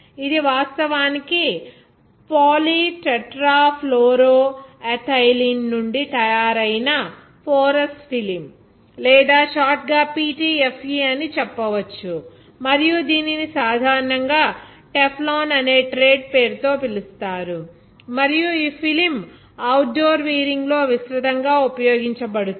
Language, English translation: Telugu, It is actually a Porous Film made from polytetrafluoroethylene, or you can say it is a short discord PTFE and is commonly known by trade name Teflon, and this film is widely used in outdoor wear